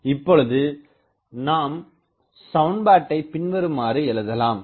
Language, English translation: Tamil, Now, the point is this equation does not have a solution